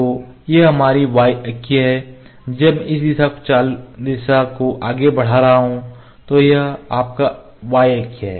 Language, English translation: Hindi, So, this is our y axis when I moving this direction this is your y axis ok